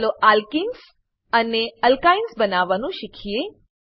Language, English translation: Gujarati, Lets learn how to create alkenes and alkynes